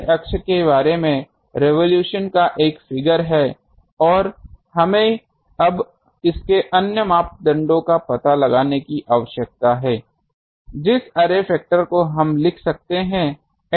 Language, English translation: Hindi, It is a figure of revolution about the array axis and we now need to find out the other parameters of this, the array factor we can write